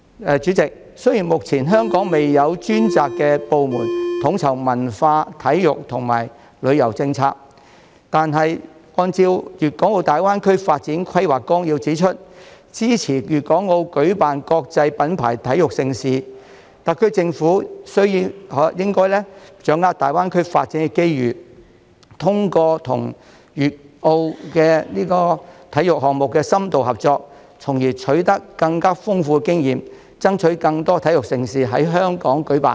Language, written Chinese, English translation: Cantonese, 代理主席，雖然香港目前未有專責部門統籌文化、體育和旅遊政策，但鑒於《粵港澳大灣區發展規劃綱要》指出支持粵港澳舉辦國際品牌體育盛事，特區政府應該把握大灣區發展的機遇，通過與粵澳深度合作舉辦體育項目，從而取得更豐富經驗，爭取更多體育盛事在香港舉辦。, Deputy President although Hong Kong does not have a dedicated department for coordinating the policies related to culture sports and tourism at the moment since the Outline Development Plan for the Guangdong - Hong Kong - Macao Greater Bay Area indicates support for the Guangdong Province Hong Kong and Macao to host internationally renowned sports events the SAR Government should seize the opportunities brought by the development of GBA and seek to gain more experience through enhanced collaboration with the Guangdong Province and Macao in hosting sports events in an endeavour to stage more major sports events in Hong Kong